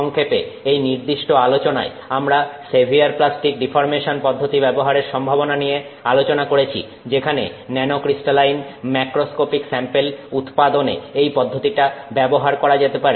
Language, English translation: Bengali, In summary, we used in this particular discussion the possibility that we can use severe plastic deformation as a process that will enable us to fabricate macroscopic samples that are nanocrystalline